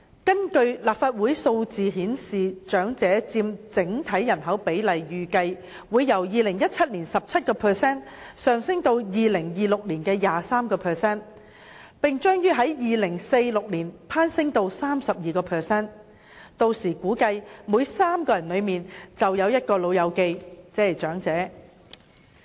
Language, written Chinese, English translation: Cantonese, 根據立法會提供的數字顯示，長者佔整體人口比例預計會由2017年的 17% 上升至2026年的 23%， 並將於2046年攀升至 32%， 屆時估計每3人之中便有一名"老友記"，亦即長者。, According to figures provided by the Legislative Council it is anticipated that the proportion of elderly persons against our total population will rise from 17 % in 2017 to 23 % in 2026 and surge further to 32 % in 2046